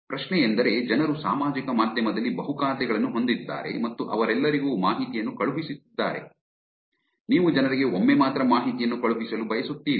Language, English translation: Kannada, So, the question is, people have multiple accounts on social media and sending information to all of them, you want to send information to the people only once